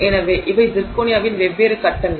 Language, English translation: Tamil, So, zirconia is used in this context